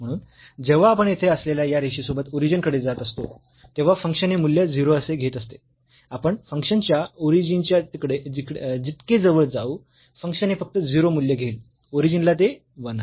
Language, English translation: Marathi, So, when we are approaching to origin along this line here, the function is taking value as 0 whatever close we are to the origin the function will take the value 0 only at the origin it is 1